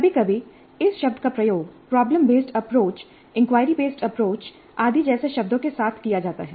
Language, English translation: Hindi, Sometimes the term is used interchangeably with terms like problem based approach, inquiry based approach, and so on